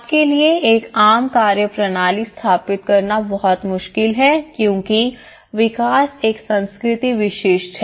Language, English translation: Hindi, So, there is one it's very difficult to establish a common methodological approach you because development is a culture specific